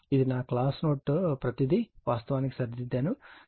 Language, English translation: Telugu, This is my class note everything it is corrected actually right